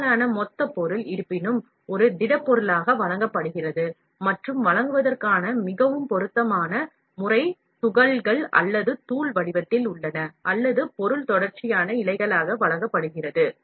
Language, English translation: Tamil, Most bulk material is; however, supplied as a solid, and the most suitable method of supplying are in pellet or powder form, or where the material is fed in as a continuous filament